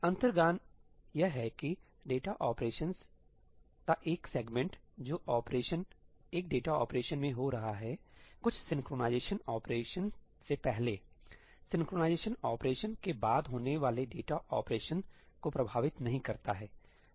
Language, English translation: Hindi, The intuition is that the one segment of data operations, the operations that are happening in one data operation, before some synchronization operation, do not affect the data operations that are happening after the synchronization operation